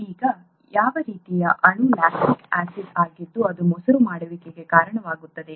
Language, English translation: Kannada, Now, what kind of a molecule is lactic acid which is what is causing the curdling